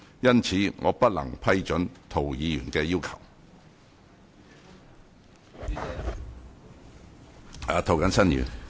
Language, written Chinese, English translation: Cantonese, 因此，我不能批准涂議員的要求。, Therefore I cannot approve Mr TOs request